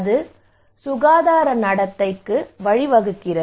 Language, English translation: Tamil, That leads to health behaviour